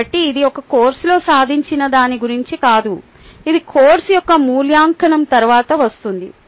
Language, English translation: Telugu, so it is not like what is achieved in a course which is come after assessment of the course